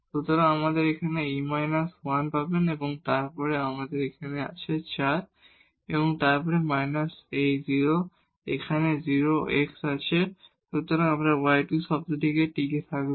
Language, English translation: Bengali, So, here you will get e power minus 1 and then here we have 4 then minus this is 0, here also 0 x is there only this y square term will survive